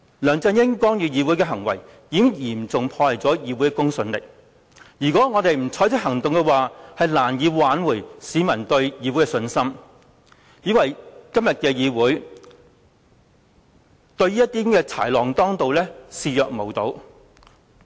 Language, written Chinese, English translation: Cantonese, 梁振英干預議會的行為，已經嚴重破壞議會的公信力，如果我們不採取行動，將難以挽回市民對議會的信心，以為今天的議會對於豺狼當道的情況已視若無睹。, LEUNG Chun - yings interference with the Council has seriously undermined its credibility and if we do not take any action it would be difficult to restore public confidence in the legislature and people might think that this Council has turned a blind eye to the fact that the wicked is in power